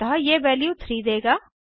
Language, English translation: Hindi, Hence this will give the value as 3